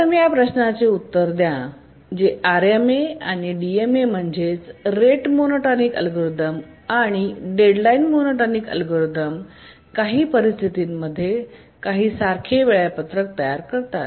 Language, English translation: Marathi, First let's answer this question that do RMA and the DMA, rate monotonic algorithm and the deadline monotonic algorithm, both of them do they produce identical schedule under some situations